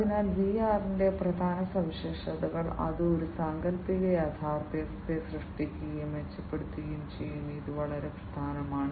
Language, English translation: Malayalam, So, the key features of VR are, that it creates and enhances an imaginary reality imaginary reality this is very important right